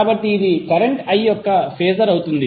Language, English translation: Telugu, So this would be the Phasor of current I